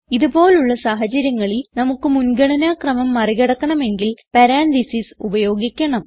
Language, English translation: Malayalam, In such situations, if we need to override the precedence, we use parentheses